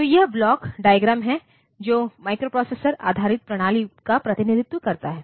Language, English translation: Hindi, So, this is the block diagram that represents the microprocessor based system